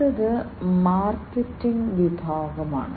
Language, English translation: Malayalam, The next is the market segment